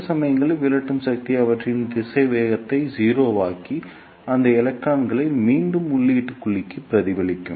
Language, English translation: Tamil, And at some point the repulsive force will make their velocity 0 and reflect those electrons back to the input cavity